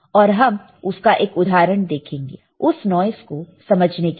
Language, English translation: Hindi, And we will just see one example to understand the noise